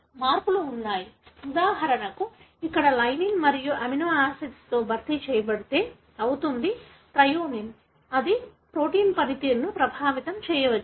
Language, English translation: Telugu, But there are changes; for example here if lysine is replaced by another amino acid, for example threonine, it may affect the way the protein functions